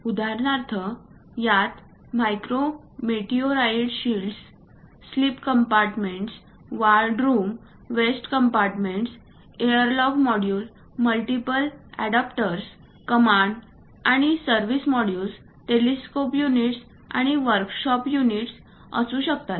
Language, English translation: Marathi, For example, it might be containing micro meteoroid shields, sleep compartments, ward rooms, waste compartments, airlock modules, multiple adapters, command and service modules, telescope units and workshop units